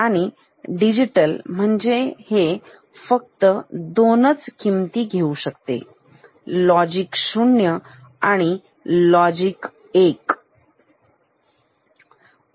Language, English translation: Marathi, And digital means this can take only two values, logic 0 and logic 1